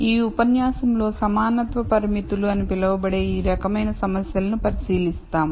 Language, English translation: Telugu, In this lecture we will look at problems of this type where we have what are called equality constraints